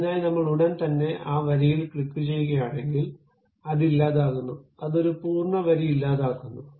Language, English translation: Malayalam, For that purpose, if I just straight away click that line, delete it, it deletes complete line